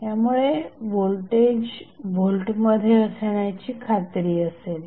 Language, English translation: Marathi, So, that voltage would remain in volts